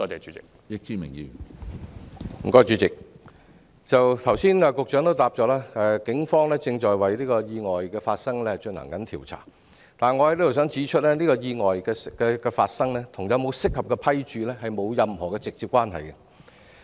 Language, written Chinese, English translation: Cantonese, 主席，局長剛才在答覆中指出，警方正就意外進行調查，但我想在此指出，這次意外與有否適合的服務批註並沒有直接關係。, President as pointed out in the Secretarys earlier reply the Police is now investigating the accident . But I wish to point out here that this accident does not have any direct relationship with the possession or otherwise of an appropriate service endorsement